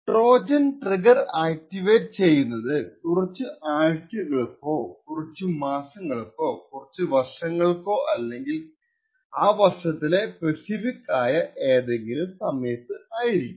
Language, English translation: Malayalam, The attacker want that the Trojan’s trigger gets activated may say after a few months a few weeks or maybe even a few years or maybe at a specific time during the year